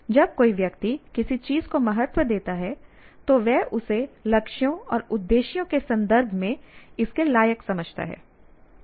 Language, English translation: Hindi, When someone values something, he or she assigns worth to it with reference to goals and purposes